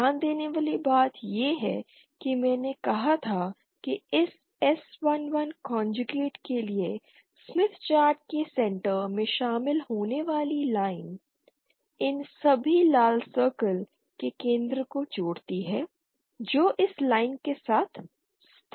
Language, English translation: Hindi, Other thing to note as I had said the line joining the origin of the smith chart to this SII conjugate the center of all these red circles will lie along this line